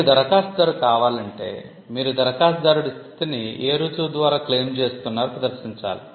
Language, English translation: Telugu, If you need to be an applicant, you need to demonstrate by what proof you are claiming the status of an applicant